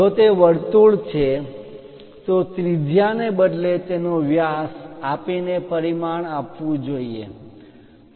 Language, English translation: Gujarati, If it is a circle, it should be dimensioned by giving its diameter instead of radius